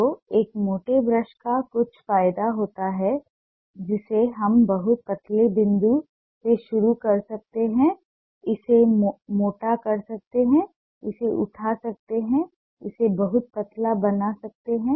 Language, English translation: Hindi, so a thicker brush has some advantage: that we can start from a very thin point, make it thick, lift it, make it very thin